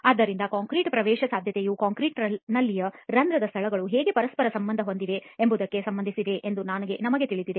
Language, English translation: Kannada, So of course we know that permeability of concrete is related to how interconnected the pore spaces in the concrete are